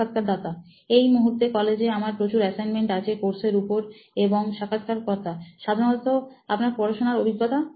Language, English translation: Bengali, Right now in college like we have a lot of assignments in the course and… Generally over your learning experience